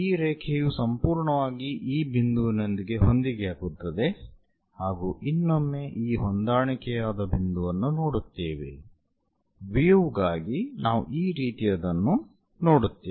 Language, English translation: Kannada, So, this line entirely coincides with this point and again one will be seeing this ah coincided point; for view, they will see something like this